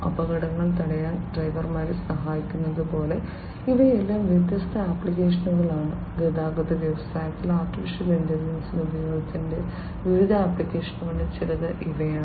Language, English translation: Malayalam, Like this assisting drivers to prevent accidents these are all different applications; these are some of the different applications of use of AI in transportation industry